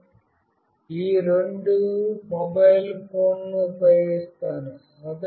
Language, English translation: Telugu, I will be using these two mobile phones